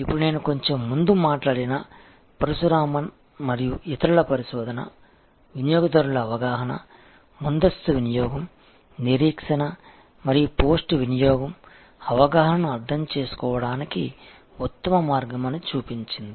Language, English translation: Telugu, Now, the research of Parasuraman and others, which I talked about a little while earlier, showed that the best way to understand customers perception, pre consumption, expectation and post consumption perception